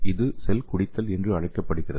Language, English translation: Tamil, So it is called as cell drinking